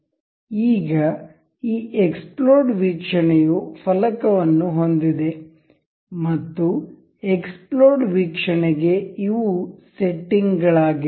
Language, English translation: Kannada, Now, this exploded view have a pane, and these are the settings for that the exploded view